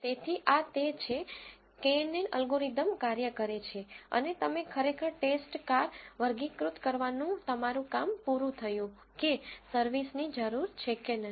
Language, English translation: Gujarati, So, that is what this knn algorithm does and you have actually nished your job of classifying the test cars as whether the service is needed or not